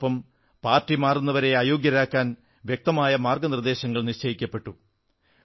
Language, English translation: Malayalam, Besides, clear guidelines were defined to disqualify the defector